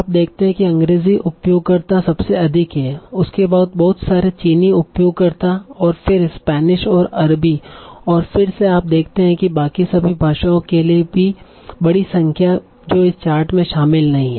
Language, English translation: Hindi, At the same time you have lots and lots of Chinese users and then Spanish Arabic and again you see a large number for all the rest languages that are not covered in this chart